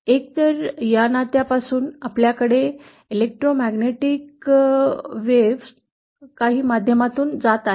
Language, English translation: Marathi, Either from this relationship that is we have an electromagnetic wave passing through some media